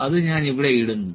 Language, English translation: Malayalam, 1 I will put it here